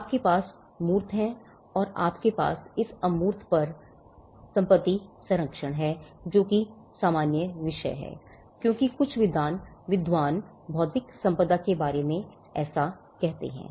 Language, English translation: Hindi, You have intangibles and you have some kind of a property protection over this intangible, that is the common theme as some scholars say of intellectual property